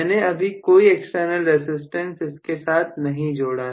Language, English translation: Hindi, I am not included any external resistance